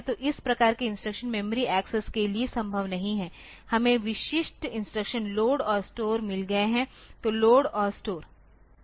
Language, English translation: Hindi, So, this type of instructions are not possible for accessing memory we have got specific instructions LOAD and STORE so, LOAD and STORE